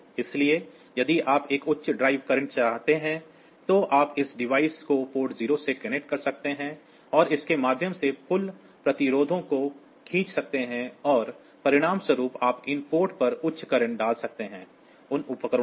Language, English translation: Hindi, So, you can have this you can connect that device to port 0 and through this pull up resistors and as a result you can put you can put high current onto those ports; over those devices